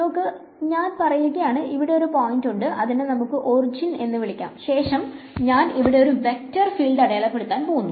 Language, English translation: Malayalam, So, let say that I have some point over here, let us call this the origin and I am trying to plot a vector field like this